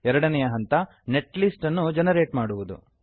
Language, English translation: Kannada, Second step is to generate netlist